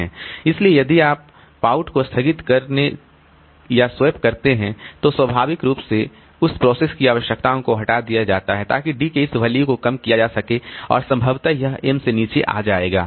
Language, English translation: Hindi, So, if you suspend or swap out, then naturally that processes frame requirements are are removed so that will reduce this value of D and possibly it will come below M